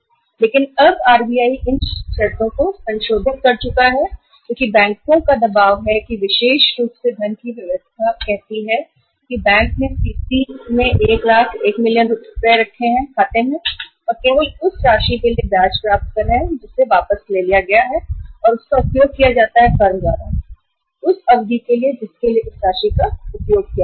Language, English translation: Hindi, But now these conditions have been revised by RBI because banks have the pressure of this particular uh say system of funding because bank has earmarked 1 lakh, 1 million rupees in the CC limit account and they are getting interest only for that amount which is withdrawn and utilized by the firm and for the period for which that amount is utilized